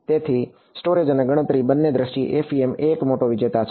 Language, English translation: Gujarati, So, both in terms of storage and computation FEM is a big winner